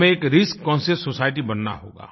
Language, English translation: Hindi, We'll have to turn ourselves into a risk conscious society